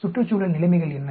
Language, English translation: Tamil, What are the environment conditions